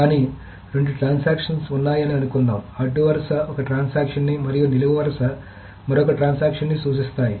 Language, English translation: Telugu, But suppose there are two transactions, the row denotes one transaction and the columns denote another transaction